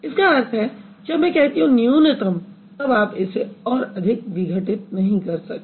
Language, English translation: Hindi, That means when I say minimal, you cannot break it any further